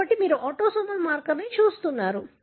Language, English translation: Telugu, So, you are looking at an autosomal marker